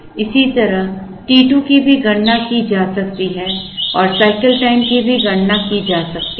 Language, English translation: Hindi, Similarly, t 2 can also be calculated and the cycle time t can also be calculated